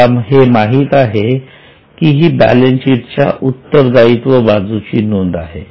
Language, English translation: Marathi, You know it's a liability item in the balance sheet